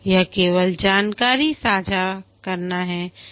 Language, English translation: Hindi, This is only information sharing